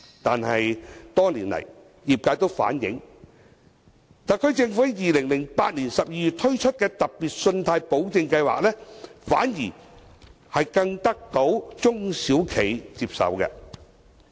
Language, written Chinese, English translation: Cantonese, 但是，多年來，業界都反映，特區政府在2008年12月推出的"特別信貸保證計劃"，反而更得到中小企的接受。, However over the years SMEs have reflected that they prefer instead the Special Loan Guarantee Scheme launched by the SAR Government in December 2008